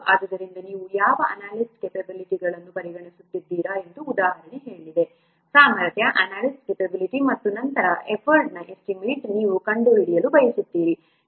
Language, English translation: Kannada, So the example said that you are considering the what analyst capability, the capability of the analyst, and then you want to find out the estimate for the effort